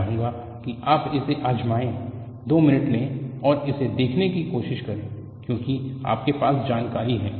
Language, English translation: Hindi, I would like you to try it out; take 2 minutes and try to look at because you have the knowledge